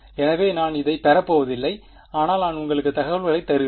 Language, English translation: Tamil, So, I am not going to derive this, but I will just give you information